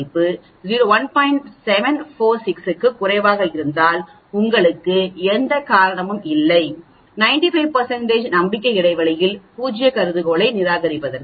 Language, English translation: Tamil, 746, then there is no reason for you to reject the null hypothesis at 95 % confidence interval